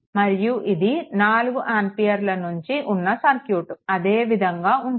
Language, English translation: Telugu, And this is 4 ampere this part of the circuit keeps it as it is right